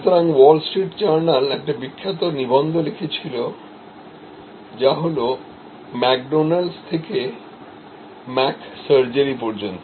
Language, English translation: Bengali, So, wall street journal wrote a famous article that from McDonald’s to Mc